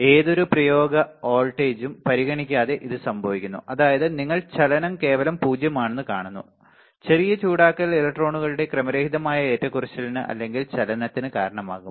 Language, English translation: Malayalam, It happens regardless of any apply voltage that means, that you see motion at absolute is zero, slight heating will cause a random fluctuation or motion of the electrons